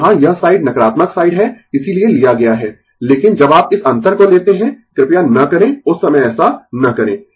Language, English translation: Hindi, So, here this side is negative side that is why we have taken, but when you take this difference, please do not do not do that at that time